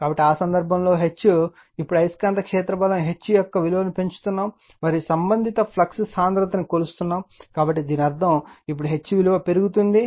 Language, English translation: Telugu, So, in that case, what will happen that your H, now increasing values of magnetic field strength H and the corresponding flux density B measured right, so that means, you are increasing the H value now